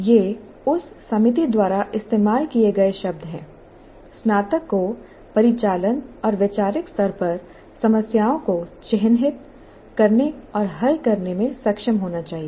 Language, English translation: Hindi, Graduate, this is what industry expects the graduate should be able to characterize and solve problems at the operational and conceptual level